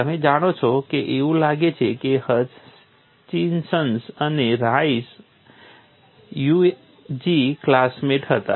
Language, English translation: Gujarati, You know it appears Hutchinson and Rice were UG classmates